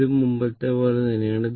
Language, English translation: Malayalam, This is same as before